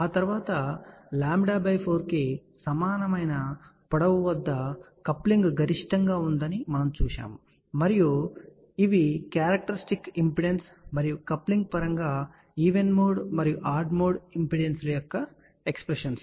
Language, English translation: Telugu, After that we had seen that the coupling is maximum for length equal to lambda by 4 and these are the expressions for even mode and odd mode impedances in terms of characteristic impedance and coupling